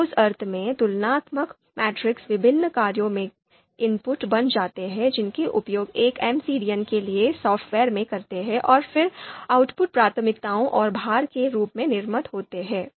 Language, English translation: Hindi, So in that sense, comparison matrices become input for different functions that we use in software for MCDM and then output is produced in terms of you know priority in terms of you know priorities and weights